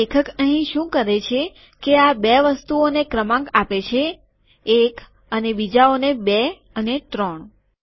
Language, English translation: Gujarati, So what he does here is, so these two items are numbered one, and the others are numbered two and three